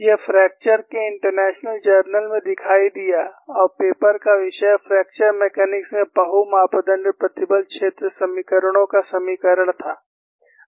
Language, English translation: Hindi, This appeared in International Journal of Fracture and the topic of the paper was 'Equivalence of multi parameter stress field equations in Fracture Mechanics'